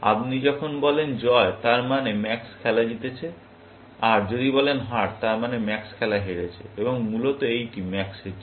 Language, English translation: Bengali, When you say win, it means max has won the game, and if you say loss; that means, max has lost the game,